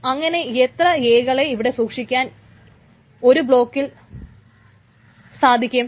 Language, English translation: Malayalam, So then how many such attribute A's can be stored in one block